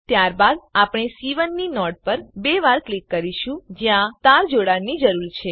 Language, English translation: Gujarati, Then we will double click on the node of C1 where wire needs to be connected